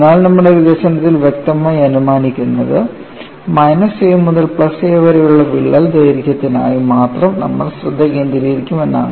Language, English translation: Malayalam, But what is implicitly assumed in our development is, we will confine our attention only for the crack length from minus a to plus a; you have to keep that in mind while we develop these steps